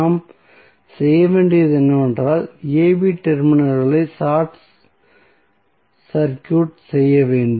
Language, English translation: Tamil, So, what we have to do we have to just short circuit the terminals AB